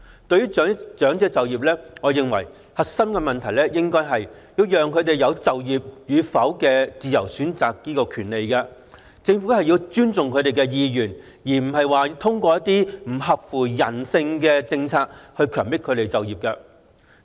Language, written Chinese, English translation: Cantonese, 對於長者就業，我認為核心的問題應該是讓他們有自由選擇就業與否的權利，政府要尊重他們的意願而非通過一些不合乎人性的政策強迫他們就業。, Concerning elderly employment I think the core issue should be giving them the right to freely choose whether or not to work . Instead of forcing them to work through some inhumane policies the Government should respect their wishes